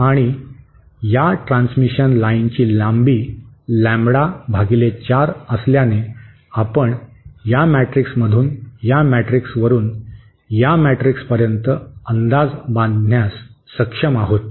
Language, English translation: Marathi, And since the length of this transmission line is lambda by 4, so we should be able to deduce from this matrix go from this matrix to this matrix